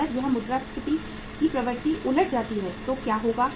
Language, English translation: Hindi, If this inflationary trend gets reversed then what will happen